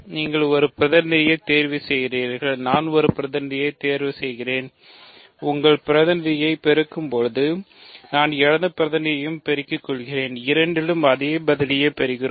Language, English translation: Tamil, You pick a representative, I pick a representative and our when we you multiply your representatives I multiply my representatives, we get the same answer